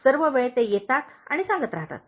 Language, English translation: Marathi, All the time they come and tell